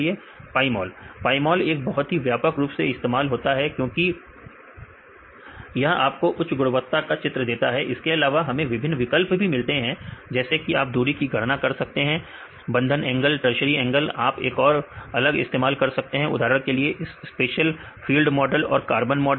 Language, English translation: Hindi, Pymol is one of the widely used ones because it can provide give the high quality figures right also we can do various options like you can calculate the distance, and the bond angle, tertiary angle right you can use one different models for example, the space fill model and the carton model right you can make